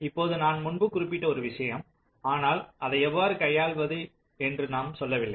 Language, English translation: Tamil, now, one thing i mentioned earlier, but we did not say how to handle it